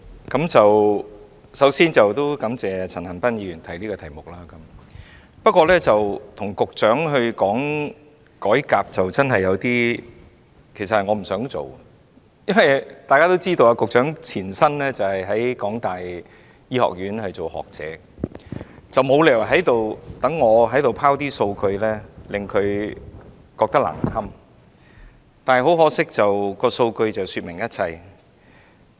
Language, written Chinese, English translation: Cantonese, 主席，首先，我感謝陳恒鑌議員提出這項議案，但我其實是不想與局長討論改革問題的，因為大家也知道，局長的前身在香港大學醫學院擔任學者，我沒理由在此拋數據令她難堪，但很可惜，數據確實說明了一切。, President first of all I thank Mr CHAN Han - pan for moving this motion . But in fact I do not want to discuss the reform issue with the Secretary as we all know that the Secretary was formerly a scholar in the Faculty of Medicine of the University of Hong Kong and there is no reason for me to embarrass her with loads of figures . However it is very unfortunate that the figures have exactly told us everything